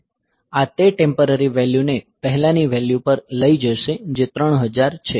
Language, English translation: Gujarati, So, this will take that temp value to the previous value to the previous value that is the 3000